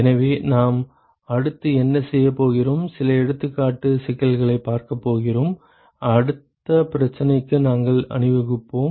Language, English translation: Tamil, So, what we are going to do next is we are going to look at some example problems and we will march on to the next issue